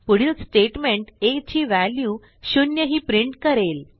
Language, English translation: Marathi, The next statement prints as value as o